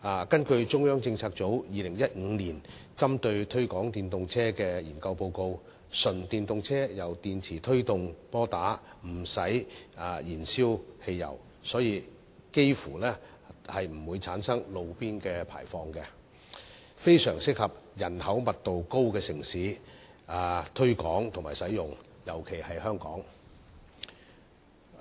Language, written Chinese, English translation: Cantonese, 根據中央政策組於2015年針對推廣電動車的研究報告，純電動車由電池推動摩打，無須燃燒汽油，所以幾乎不會產生路邊排放，相當適合於人口密度高的城市推廣使用，特別是香港。, According to a study report on the promotion of EVs conducted by the former Central Policy Unit in 2015 battery EVs are propelled by batteries and do not require petrol combustion . So they almost have no roadside emission and are very suitable for use in densely - populated cities especially Hong Kong